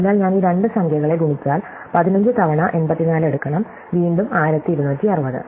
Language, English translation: Malayalam, So, I multiply these two numbers, I have to take 15 times 84 and again 1260